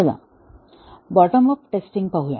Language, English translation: Marathi, Let us look at the bottom up testing